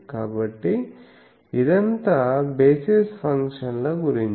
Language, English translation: Telugu, So, that is all about these basis functions